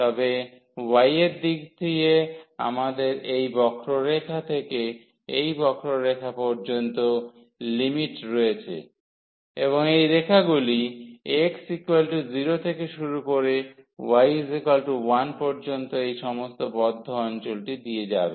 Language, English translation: Bengali, So, in the direction of y we have the limits from this curve to that curve, and these lines will run from x is equal to 0 to x is equal to 1 to go through all this enclosed area